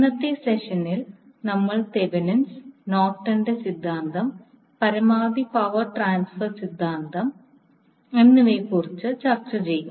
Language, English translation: Malayalam, So in today’s session we will discuss about Thevenin’s, Nortons theorem and Maximum power transfer theorem